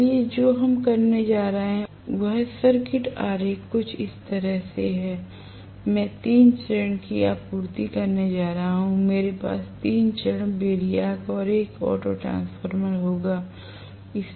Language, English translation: Hindi, So, what we are going to have is the circuit diagram is somewhat like this I am going to have 3 phase supply, I will have a 3 phase variac or an auto transformer